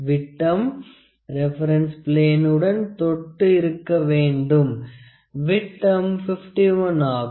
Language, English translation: Tamil, The dia actually it has to touch a reference plane here, the dia is about, the dia is about 51